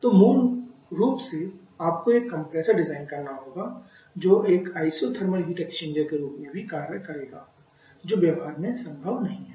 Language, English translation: Hindi, So basically have to design a compressor which will also act as an isothermal heat exchanger which is not possible in practice